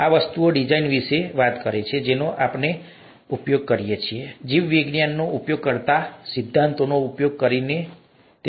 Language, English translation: Gujarati, This talks about design of things that we use, using principles that biology uses, okay